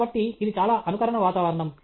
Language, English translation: Telugu, So, it’s a highly simulated environment